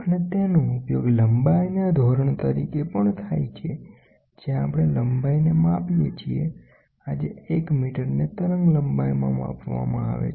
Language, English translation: Gujarati, And it is also used as absolute standard for length that is what we measure the length, 1 metre is measured in the wavelengths today